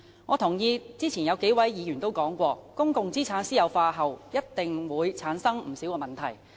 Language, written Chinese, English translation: Cantonese, 我認同剛才數位議員的說法，指出公共資產私有化後一定會產生不少問題。, I agree with the point made by several Members that privatization of public assets will bring about many problems